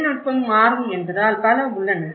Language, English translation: Tamil, There is many because the technology is moving